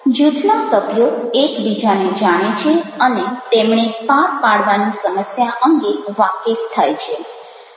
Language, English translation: Gujarati, the group members get to know each other and come to grips with the problem they have convened to deal with